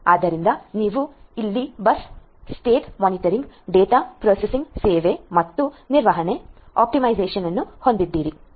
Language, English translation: Kannada, So, you have over here bus state monitoring, data processing service and third is in the management and optimization